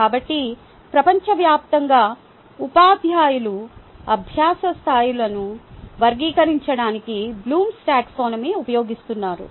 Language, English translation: Telugu, so across the globe teachers still use blooms taxonomy to classify will learning levels ah